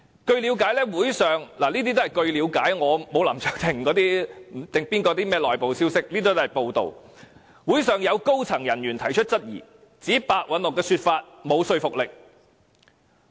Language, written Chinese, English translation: Cantonese, 據了解——這些都是報道所得消息，因我不像林卓廷議員，沒有甚麼內部消息——會上有高層人員提出質疑，指白韞六的說法沒有說服力。, It is understood―from media reports of course since unlike Mr LAM Cheuk - ting I do not have any insider information―that at the meeting some senior officers had queried the explanation made by Simon PEH and considered it unconvincing